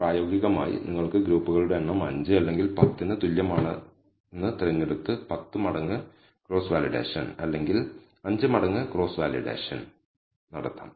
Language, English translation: Malayalam, In practice you can choose the number of groups equal to either 5 or 10 and do a 10 fold cross validation or 5 fold cross validation